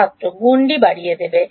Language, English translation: Bengali, Will increase the boundary